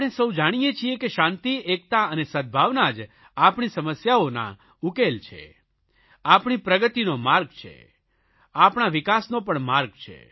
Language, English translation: Gujarati, We all know that peace, unity and harmony are the only way to solve our problems and also the way to our progress and development